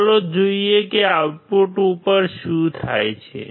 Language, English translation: Gujarati, Let us see what happens at the output all right